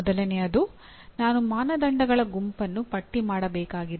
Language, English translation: Kannada, First thing is I have to list a set of criteria